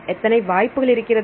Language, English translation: Tamil, So, how many possibilities will have